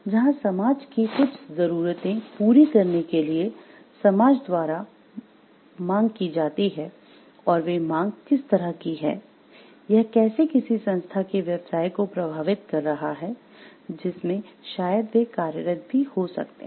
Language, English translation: Hindi, Where there is a demand from the society which to fulfill certain of the needs of the society, and how they are like, how it is affecting the business of the organization also like in which maybe they are employed